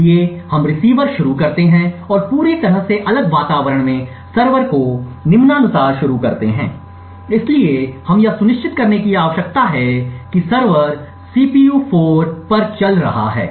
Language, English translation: Hindi, So, let us start the receiver and in a totally isolated environment start the server as follows, so we need to ensure that the server is running on the CPU 4